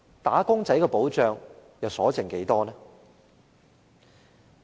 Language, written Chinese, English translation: Cantonese, "打工仔"的保障又餘下多少？, And how much protection is left for wage earners?